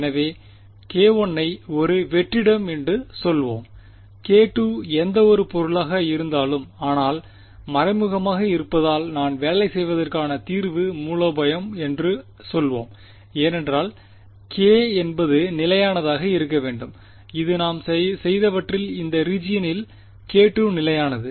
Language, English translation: Tamil, So, k 1 let us say a vacuum, k 2 whatever material, but implicit because I want the same solution strategy to work is that k should be constant therefore, this in what we have done so far everywhere over here in this region k 2 is constant